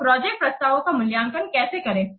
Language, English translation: Hindi, So how to evaluate the project proposals